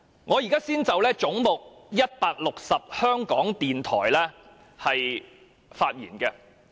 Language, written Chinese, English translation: Cantonese, 我現在先就"總目 160― 香港電台"發言。, I now speak on Head 160―Radio Television Hong Kong first